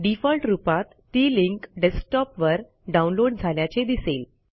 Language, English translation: Marathi, You notice that by default the link would be downloaded to Desktop